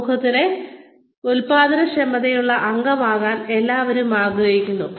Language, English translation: Malayalam, Everybody wants to be a productive member of society